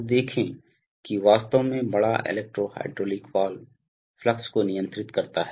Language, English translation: Hindi, So see that big electro hydraulic valve actually, may be controls the flow